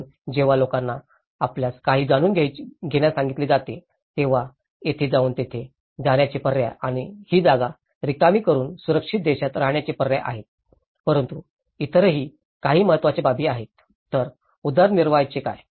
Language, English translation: Marathi, So, when people have been asked to get some you know, options of going there going into the land and vacate these places and stay in a safer lands but there are some other important aspects, what about the livelihoods